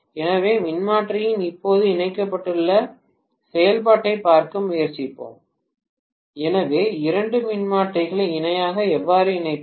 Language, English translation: Tamil, So, let us try to take a look at now parallel operation of the transformer, so how do we connect two transformers in parallel